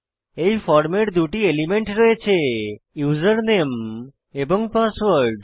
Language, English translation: Bengali, This form has two input elements Username and Password